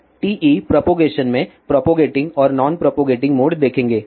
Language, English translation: Hindi, Now, let us seepropagating and non propagating modes in TE propagation